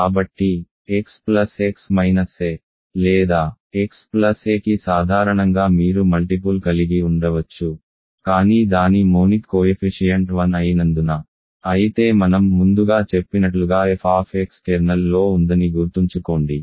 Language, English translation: Telugu, So, x plus x minus a or x plus a in general you can have coefficient, but because its monic coefficient is 1, but then remember f x is in the kernel as I mentioned earlier